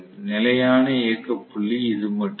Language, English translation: Tamil, So, the stable operating point will be only this